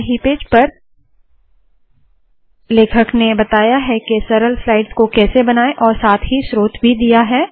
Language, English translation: Hindi, In the very first page the author talks about how to create simple slides and he has given the source also